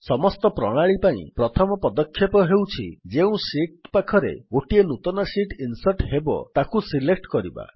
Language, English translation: Odia, The first step for all of the methods is to select the sheet next to which the new sheet will be inserted